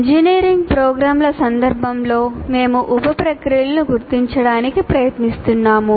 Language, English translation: Telugu, So, in the context of engineering programs, we are trying to identify the sub processes